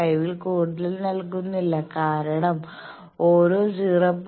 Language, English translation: Malayalam, 5 because, we have seen that after every 0